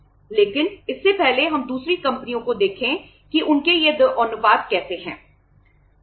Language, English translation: Hindi, But before that let us see the other companies that how their say these 2 ratios are like